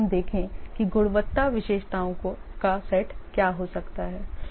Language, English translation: Hindi, Let's look at what can be the set of quality attributes